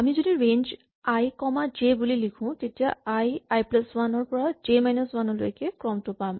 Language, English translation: Assamese, In general, if we write range i comma j, we get the sequence i, i plus 1 up to j minus 1